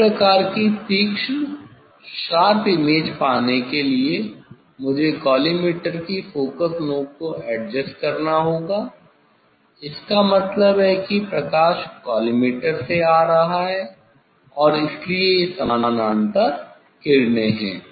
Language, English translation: Hindi, to get this type of sharp image, I have to adjust the collimator focusing knob so; that means, the light is coming from the collimator so that is parallel rays